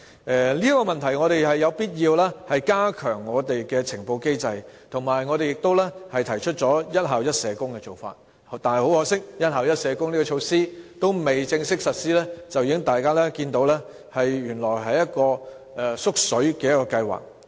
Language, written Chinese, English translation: Cantonese, 就此，政府有必要加強現行呈報機制，而我們亦提出了"一校一社工"的做法，但很可惜，"一校一社工"的措施尚未正式實施，大家卻已看見，原來這是一項"縮水"的計劃。, In this regard the Government must strengthen the existing reporting mechanism and we have also proposed the approach of one school social worker for each school . Yet regrettably while the measure of one school social worker for each school has still not been formally implemented we have seen it turning out to be a shrunk scheme